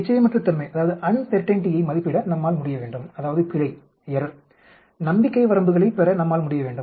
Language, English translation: Tamil, We should be able to estimate uncertainty that is, error we should be able to get the confidence limits